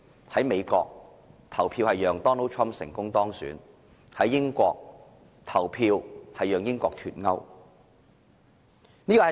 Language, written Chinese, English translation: Cantonese, 在美國，人們投票讓 Donald TRUMP 成功當選；在英國，人們投票讓英國脫歐。, In the United States people cast their votes to let Donald TRUMP win . In the United Kingdom people cast their votes to allow Brexit